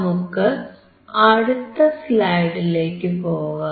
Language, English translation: Malayalam, So, if you go to the next slide now